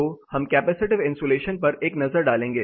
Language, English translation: Hindi, So, we will take a look at capacitive isolation